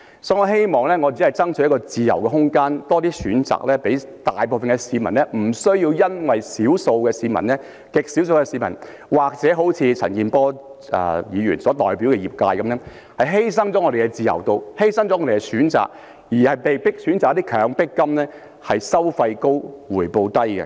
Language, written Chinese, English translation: Cantonese, 所以，我希望為市民爭取自由空間，可以有更多的選擇，令大部分的市民不需要因極少數的市民或如陳健波議員所代表的業界而把他們的自由度和選擇犧牲，被迫選擇一些收費高而回報低的"強迫金"。, Therefore I hope to strive for freedom and space for the people so that they can have more choices and that the majority of them do not have to sacrifice their freedom and choices and be forced to choose some coercive funds with high fees and low returns due to a handful of people or to the industry that is represented by a Member like Mr CHAN Kin - por